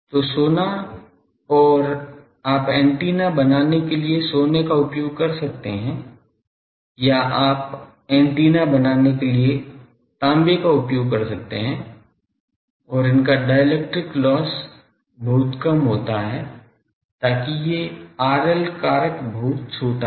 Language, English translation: Hindi, So, gold and you can use gold for making antenna, or you can use copper for making antenna and also the dielectric those are very loss low loss dielectrics are used so, that these R L factor is very small